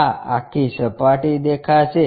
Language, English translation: Gujarati, This entire surface will be visible